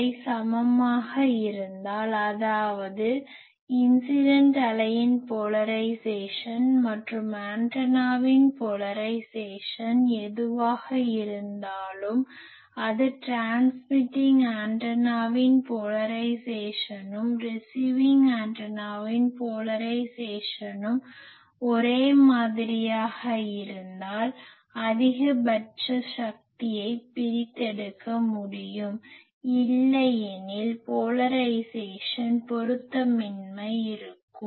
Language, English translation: Tamil, If they are equal; that means, whatever the polarisation of the incident wave and the antennas polarisation; that means, as a that; as a transmitting antenna is polarisation is same, then this receiving antenna will be able to extract maximum power otherwise there will be a polarisation mismatch